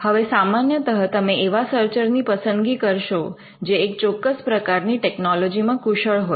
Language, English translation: Gujarati, Now you would normally select a searcher who is competent in a particular technology